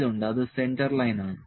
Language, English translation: Malayalam, L that is Centre Line